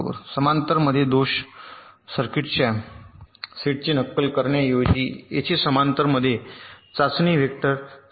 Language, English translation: Marathi, so here, as i said, instead of simulating a faulty set of faulty circuits in parallel, we simulate a set of test vectors in parallel